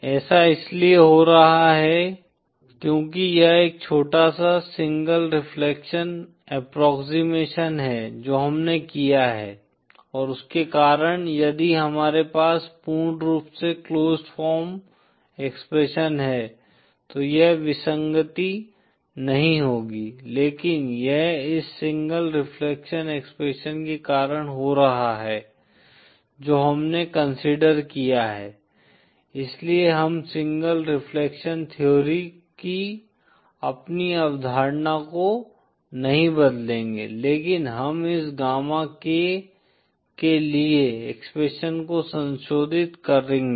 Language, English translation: Hindi, The reason this is happening is because this small single reflection approximation that we are have done & because of that if we had the complete closed form expression then this anomaly would not have happened, but this is happening because of this single reflection expression that we have considered, so we will not change our concept of single reflection theory, but we will modify the expression for this gamma k